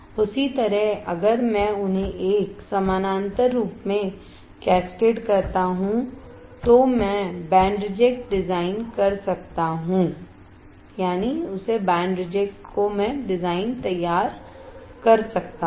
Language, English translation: Hindi, Same way if I cascade them in a parallel form, I can form the band reject design